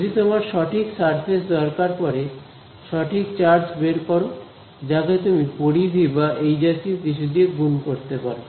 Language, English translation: Bengali, If you want to get the correct surface get the correct charge you have to multiply by the circumference or whatever